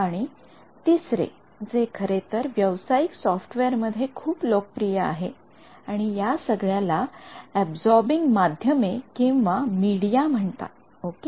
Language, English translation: Marathi, And, the third which is actually very popular in commercial software and all these are called absorbing media ok